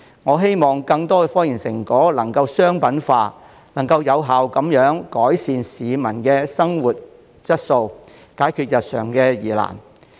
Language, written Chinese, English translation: Cantonese, 我希望更多科研成果能夠商品化，有效改善市民的生活質素，解決日常疑難。, I hope that more results of scientific research can be commercialized to effectively improve the quality of life of the public and solve daily life problems